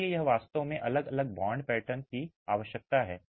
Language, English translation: Hindi, So, that is really what necessitated different bond patterns